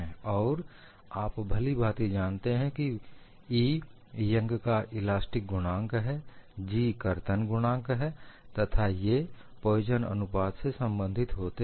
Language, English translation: Hindi, And you know very well that E is the young’s modulus, G is the shear modulus and they are related by the Poisson’s ratio